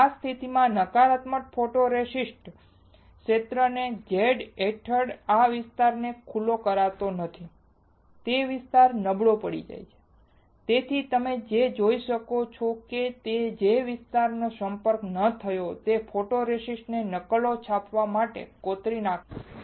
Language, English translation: Gujarati, In this case negative photoresist the area which is not exposed this area under Z the area which is not exposed gets weaker that is why you can see that photoresist from the area which was not exposed is etched is removed